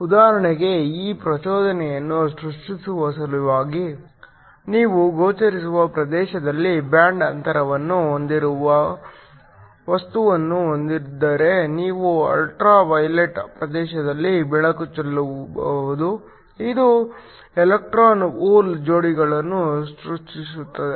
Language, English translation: Kannada, In order to create this excitation for example, if you have a material with a band gap in the visible region you could shine light in the ultra violet region, which creates electron hole pairs